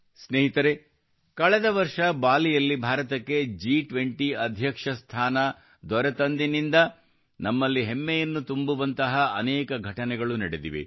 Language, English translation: Kannada, Friends, since India took over the presidency of the G20 in Bali last year, so much has happened that it fills us with pride